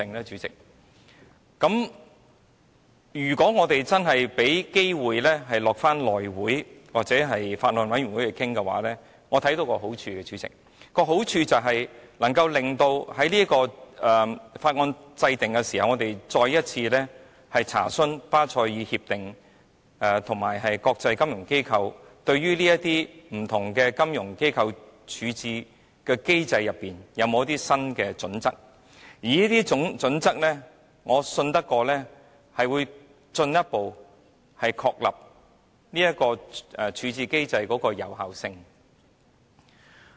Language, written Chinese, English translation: Cantonese, 主席，如果我們真的有機會交付內務委員會處理或交由法案委員會討論的話，我看到的好處是在審議法案的時候，我們可以再一次進行查詢，看看對於不同金融機構的處置機制，巴塞爾協定及國際金融機構有否一些新的準則，而我相信這些準則將進一步確立處置機制的有效性。, President if we really have a chance to refer the Bill to the House Committee or for discussion by a Bills Committee the merit is that during the scrutiny of the Bill we can make enquiries once again and look into whether regarding the resolution mechanisms of various financial institutions the Basel Accords and international financial institutions have set out new standards which I believe will further establish the validity of the resolution system